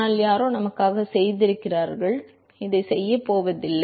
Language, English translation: Tamil, But somebody has done it for us, may not going to do this